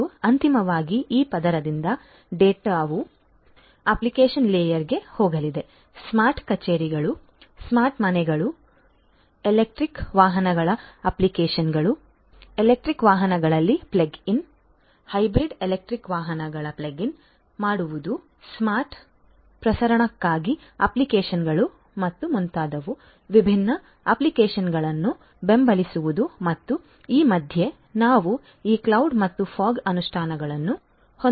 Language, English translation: Kannada, And finally, this data from this layer is going to get to the application layer; application layer, supporting different applications for smart offices, smart homes, applications for electric vehicles, plug in electric vehicles, plug in hybrid electric vehicles, etcetera, applications for smart transmission and so on and in between we can have this cloud and fog implementations